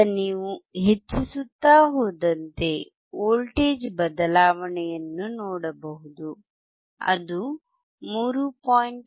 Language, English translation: Kannada, Now you can keep on increasing and then you can see the change in the voltage, you can see that is 3